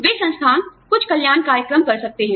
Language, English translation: Hindi, They can institute, some wellness programs